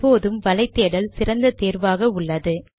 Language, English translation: Tamil, Of course, a web search is an excellent option too